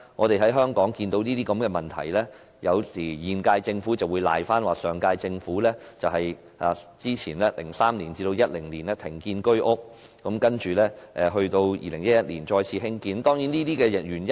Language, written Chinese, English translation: Cantonese, 對於這些問題，現屆政府有時候會推說，原因是上屆政府2003年至2010年停建居屋 ，2011 年才恢復興建。, In response to these problems the current Government claimed that the situation was attributed to the fact that no Home Ownership Scheme flats were built by the previous Government from 2003 to 2010 and construction only resumed in 2011